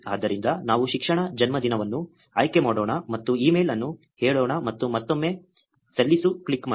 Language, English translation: Kannada, So, let us select education, birthday, and say email and click submit again